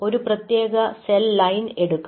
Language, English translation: Malayalam, so there are several cell lines